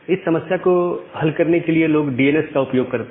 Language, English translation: Hindi, Now, to solve this problem people use DNS